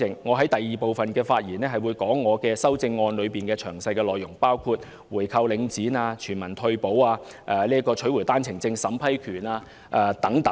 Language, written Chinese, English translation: Cantonese, 我會在第二個環節講述我的修正案的詳細內容，包括回購領展、全民退休保障，以及取回單程證審批權等。, I will give a detailed account of the content of my amendment in the second session including the buying back of Link REIT implementation of universal retirement protection and the taking back of the power of vetting and approving One - way Permits